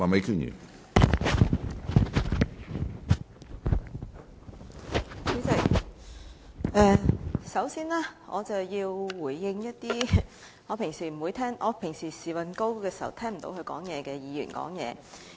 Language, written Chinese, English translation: Cantonese, 主席，首先，我想回應一些我平時"時運高"時聽不到他們發言的議員的言論。, President first I wish to respond to the comments made by some Members whose speeches I would not be able to hear when lady luck normally favours me